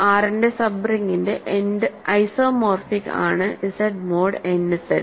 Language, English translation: Malayalam, So, Z mod n Z is isomorphic to a sub ring of R